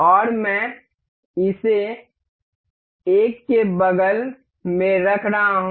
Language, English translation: Hindi, And I am placing it one one beside another